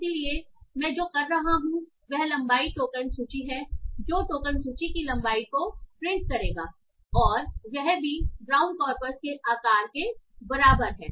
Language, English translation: Hindi, So what I am doing is length token list will print out the length of the token list list and that is also equal to the size of the brown corpus